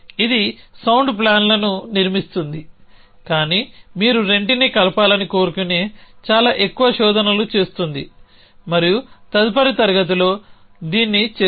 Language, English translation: Telugu, This one is constructing sound plans, but it is doing too much searches you want to combined the 2 and will do that next class